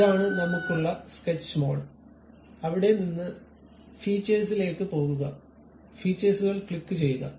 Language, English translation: Malayalam, This is the Sketch mode where we are in; from there go to Features, click Features